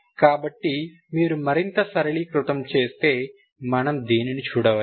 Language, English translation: Telugu, So if you simplify, further so you first simplification we can see this one